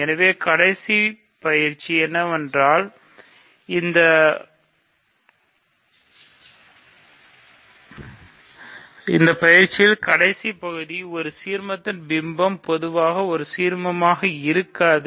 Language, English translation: Tamil, So, the last exercise here is, in this exercise last part is image of an ideal may not be an ideal in general ok